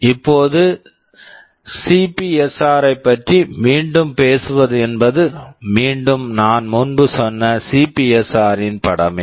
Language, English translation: Tamil, Now, talking about the CPSR once more this is again the picture of the CPSR I told earlier